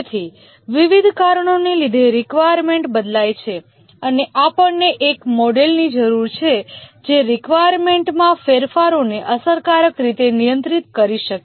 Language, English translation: Gujarati, So the requirements change due to various reasons and we need a model which can effectively handle requirement changes